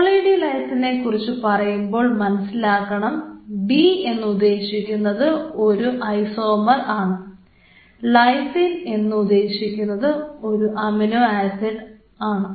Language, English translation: Malayalam, So, talking about Poly D Lysine D is the isomer type and lysine as you know is an amino acid